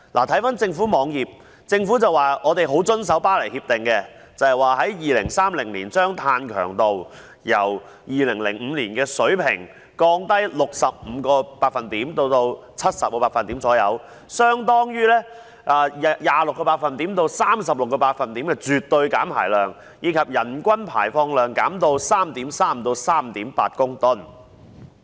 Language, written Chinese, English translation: Cantonese, 根據政府網頁，香港將遵守《巴黎協定》，在2030年把碳強度由2005年的水平降低 65% 至 70%， 相當於 26% 至 36% 的絕對減排量，以及將人均排放量減至 3.3 至 3.8 公噸。, According to the government website Hong Kong will abide by the Paris Agreement to reduce its carbon intensity by 65 % to 70 % by 2030 compared with the 2005 level which is equivalent to 26 % to 36 % absolute reduction and a reduction to 3.3 to 3.8 tonnes per capita